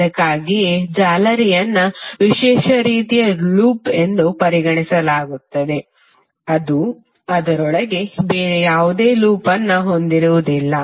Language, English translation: Kannada, So that is why mesh is considered to be a special kind of loop which does not contain any other loop within it